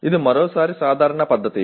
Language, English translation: Telugu, This is once again a common practice